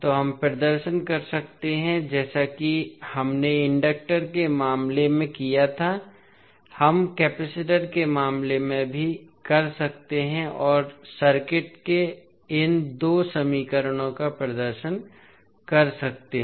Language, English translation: Hindi, So, we can represent as we did in case of inductor, we can do in case of capacitor also and represent these two equations in the circuit